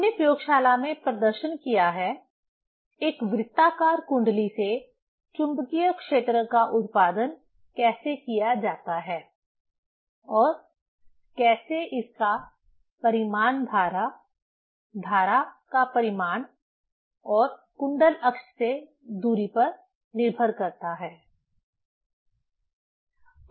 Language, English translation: Hindi, We have demonstrated in laboratory, how to produce magnetic field from a circular coil and how its magnitude depends on the current, magnitude of current and the distance on the coil axis